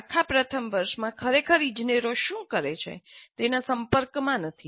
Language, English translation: Gujarati, In the entire first year, there is no exposure to what actually engineers do